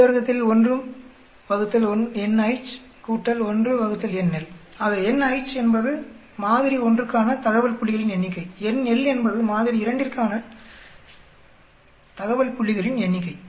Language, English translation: Tamil, So, n h is the number of data points for sample one, n L is the number for data point for sample two